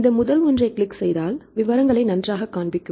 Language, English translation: Tamil, Then if you click on this first one right then it will show the details right fine